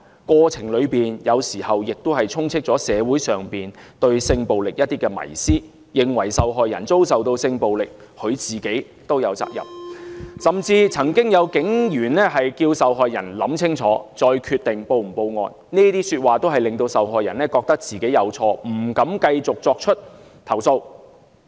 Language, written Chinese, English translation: Cantonese, 過程中，有時候也充斥着社會上對性暴力的迷思，認為受害人遭受性暴力，本身也有責任，甚至曾經有警員要求受害人想清楚，再決定是否報案，這些說話均令受害人覺得自己有錯，不敢繼續作出投訴。, Some people consider that the victims should also be held responsible for being sexually assaulted . Some police officers have even asked the victims to think twice before deciding whether they would like to go on reporting the case to the Police . All these will make the victims feel that they have done something wrong and as a result they dare not go on with the complaint